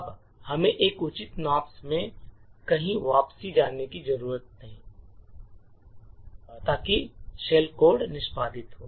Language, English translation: Hindi, Now we need to jump back somewhere in the Nops at a decent at a reasonable alignment so that the shell code executes